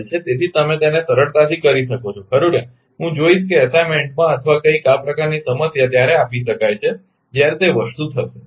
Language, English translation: Gujarati, So, easily you can make it right, I will see that in the assignment or something this kind of problem ah can be given when that ah thing will come right